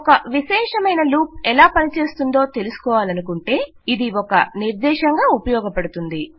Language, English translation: Telugu, This will be useful as a reference also if you need to refer to how a particular loop works